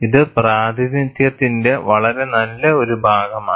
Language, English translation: Malayalam, And this is a very nice piece of a representation